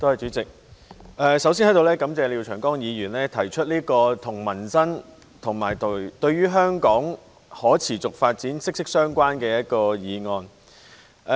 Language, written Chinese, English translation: Cantonese, 代理主席，我首先在此感謝廖長江議員提出這項跟民生及香港可持續發展息息相關的議案。, Deputy President first of all I thank Mr Martin LIAO for moving this motion which is closely related to peoples livelihood and the sustainable development of Hong Kong